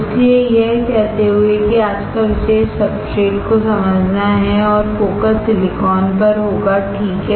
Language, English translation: Hindi, So, having said that the today’s topic is to understand the substrate and the focus will be on silicon, all right